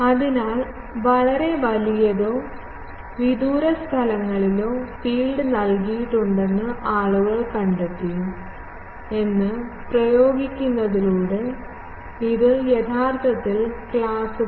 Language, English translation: Malayalam, So, by applying that people have found that at very large or far fields, the field is given by this actually classes